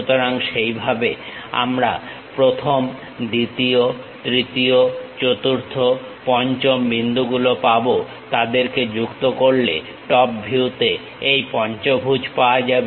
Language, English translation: Bengali, So, that we will have 1st, 2nd, 3rd, 4th, 5th points join them to get the pentagon in the top view